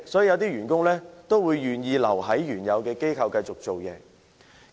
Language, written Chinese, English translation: Cantonese, 有些員工因而願意留在原來的機構繼續工作。, Some employees are therefore willing to stay working with the same company